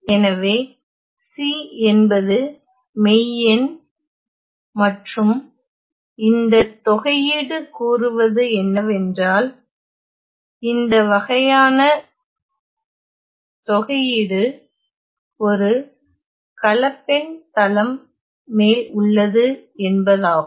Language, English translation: Tamil, So, C is the real number and this integral tells me that this sort of an integration is over a complex plane